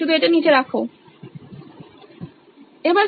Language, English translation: Bengali, Just put it down here